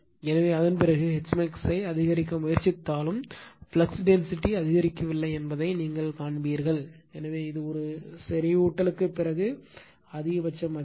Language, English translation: Tamil, So, after that even if you increase your you try to increase H max that is I, you will find that flux density is not increasing, so this is the maximum value after saturation right